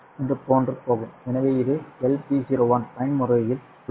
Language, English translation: Tamil, So this is for the LP01 mode